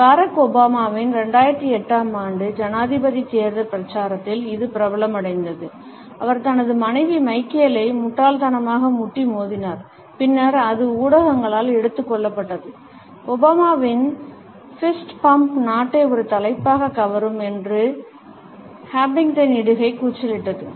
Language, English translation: Tamil, It was popularized in the 2008 presidential campaign by Barack Obama, when he nonchalantly fist bumped his wife Michelle and then it was taken up by the media and the Huffington post had exclaimed that Obama’s fist bump rocks the nation as a headline